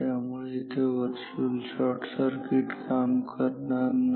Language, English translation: Marathi, Now, virtual shorting will not work